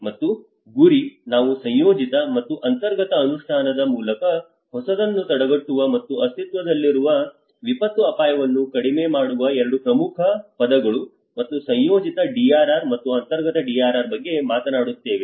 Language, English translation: Kannada, And the goal, we talk about the prevent new and reduce existing disaster risk through the implementation of integrated and inclusive these are the two important words and integrated DRR and inclusive DRR